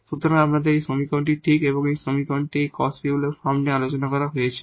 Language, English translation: Bengali, So, now this equation here is exactly the equation discussed this Cauchy Euler form